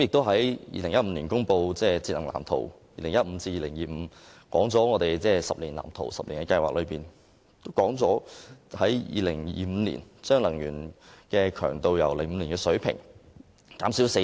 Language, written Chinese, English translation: Cantonese, 2015年公布的《香港都市節能藍圖 2015~2025+》，訂立了10年計劃，目標在2025年將能源強度由2005年的水平減少四成。, The Energy Saving Plan for Hong Kongs Built Environment 20152025 published in 2015 laid down a 10 - year plan aimed at reducing energy intensity by 40 % by 2025 from the 2005 level